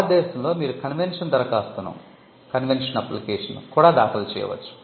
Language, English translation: Telugu, In India, you can also file, a convention application